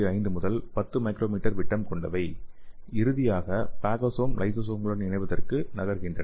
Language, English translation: Tamil, 5 to 10 micrometer, and finally phagosome moves to fuse with the lysosomes okay